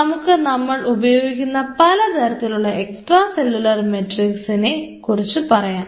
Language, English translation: Malayalam, To start off with we will be talking about different types of extracellular matrix used in cell culture